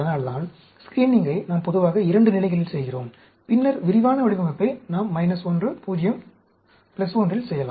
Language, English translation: Tamil, That is why, screenings, we generally do it at 2 levels, and later on, detailed design, we can do at minus 1, 0, 1